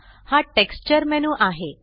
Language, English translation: Marathi, This is the Texture menu